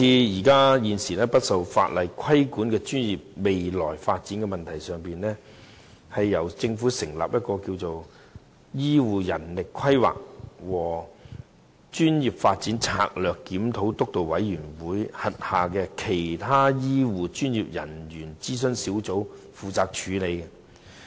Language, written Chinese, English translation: Cantonese, 現時不受法定規管的專業的未來發展問題，由政府成立名為醫療人力規劃和專業發展策略檢討督導委員會轄下的其他醫療專業小組負責處理。, The future development of professions currently not subject to regulation is now dealt with by the Other Healthcare Professionals Sub - group under the Steering Committee on Strategic Review on Healthcare Manpower Planning and Professional Development set up by the Government